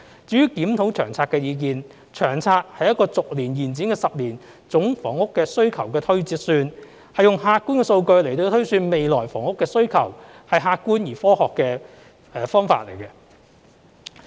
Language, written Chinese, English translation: Cantonese, 至於檢討《長遠房屋策略》的意見，《長策》是一個逐年延展的10年總房屋需求的推算，是用客觀的數據來推算未來房屋的需求，是客觀而科學的方法。, As regards the opinion about reviewing the Long Term Housing Strategy LTHS LTHS is a projection of the rolling 10 - year total housing demand . It is an objective and scientific method to project future housing demand using objective data